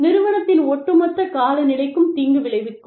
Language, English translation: Tamil, Can be detrimental, to the overall climate, of the organization